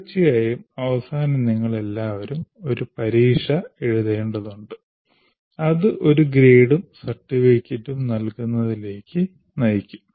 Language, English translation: Malayalam, Of course, in the end, all of you will be writing an examination which should lead to the award of a grade and certificate